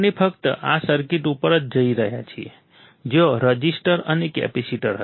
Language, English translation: Gujarati, We are looking only on this circuit where resistor and capacitor was there correct